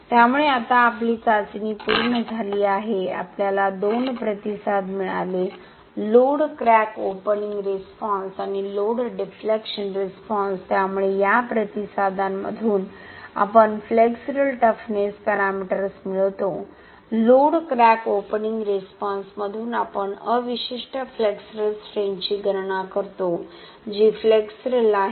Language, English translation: Marathi, So now our test is complete we got two responses, the load crack opening response and load deflection response, so from these responses we derive the flexural toughness para meters, from the load crack opening response we calculate the residual flexural strength, which is the flexural strength at different crack openings of 0